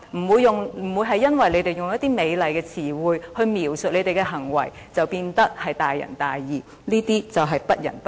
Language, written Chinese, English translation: Cantonese, 別以為他們用一些美麗的詞彙來描述他們的行為，便會變得大仁大義，他們其實是不仁不義。, Do not think that they will become benevolent and righteous by using some beautiful words and expressions to describe their behaviour . They are in fact neither benevolent nor righteous